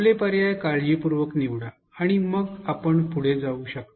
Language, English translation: Marathi, Think carefully choose your options and then you can proceed